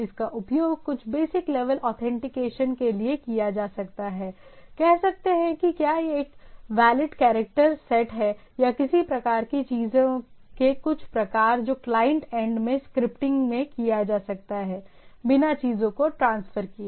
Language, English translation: Hindi, It can be used for some basic level authentication say whether it is a valid character set or some sort of a those type of things which can be done at the scripting at the client end without transferring the thing